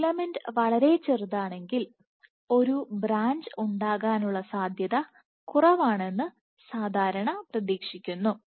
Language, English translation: Malayalam, So, one would typically expect that if a filament is too small then a branch is less likely to form